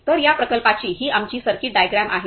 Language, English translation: Marathi, So, this is our circuit diagram circuit of this project